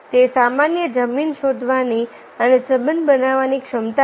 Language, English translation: Gujarati, it is an ability to find common ground and build rapport